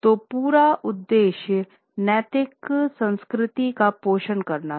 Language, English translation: Hindi, So, the whole purpose was to nurture ethical culture